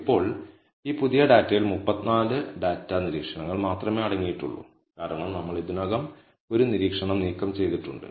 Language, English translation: Malayalam, So, now, this new data will contain only 34 data observations, because we have already removed one observation